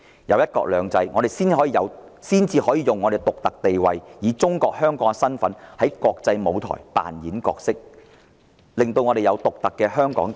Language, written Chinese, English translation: Cantonese, 有了"一國兩制"，我們才能利用香港的獨特地位，以中國香港的身份在國際舞台上扮演獨特的角色。, Only under one country two systems can we leverage on Hong Kongs unique status and play a unique role in the international arena as Hong Kong China